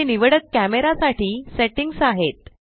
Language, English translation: Marathi, These are the settings for the selected camera